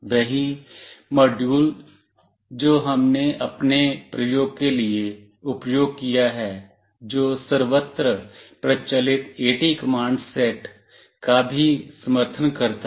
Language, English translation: Hindi, The same module we have used for our experimentation, which also supports standard AT command set